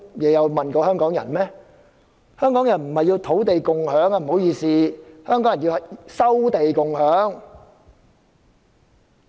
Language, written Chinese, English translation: Cantonese, 不好意思，香港人要的不是土地共享而是"收地共享"。, Sorry what Hong Kong people want is not land sharing but resuming land for sharing